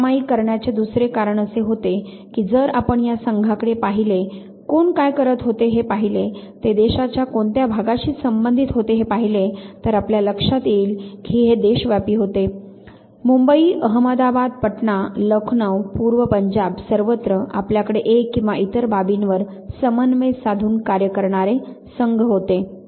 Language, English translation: Marathi, Second reason for sharing this was that if you look at the teams and if you look at who was doing what which region of the country they belong to you realize that it was a nationwide spread Bombay, madabad, Patna, Lucknow, East Punjab from everywhere you had the teams coordinating and working on one or the other aspect